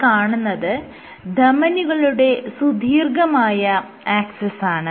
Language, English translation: Malayalam, So, this is the long axis of the duct